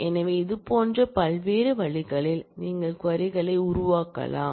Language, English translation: Tamil, So, in different such ways, you can manipulate and create queries